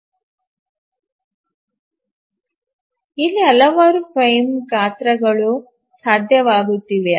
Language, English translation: Kannada, We will find that several frame sizes are becomes possible